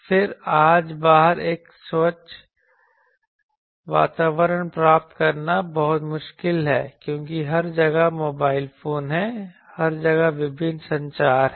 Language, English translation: Hindi, Then in outside today it is very difficult to get a clean environment because, there are mobile phones everywhere there are various communications everywhere